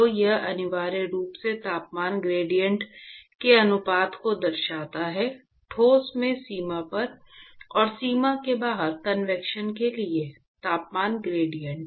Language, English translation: Hindi, So, this essentially signifies the ratio of the temperature gradient at the boundary in the solid, and the temperature gradient for convection outside the boundary